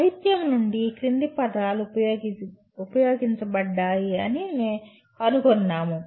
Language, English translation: Telugu, From the literature we find the following words are used